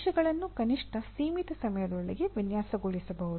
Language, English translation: Kannada, Components can be designed, at least within the limited time